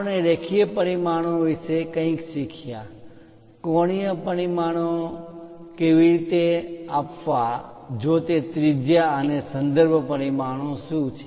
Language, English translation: Gujarati, We learned something about linear dimensions, how to give angular dimensions, if it is radius and what are reference dimensions